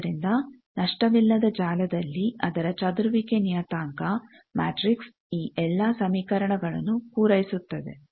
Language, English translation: Kannada, So, in lossless network its scattering parameter matrix satisfies all these equations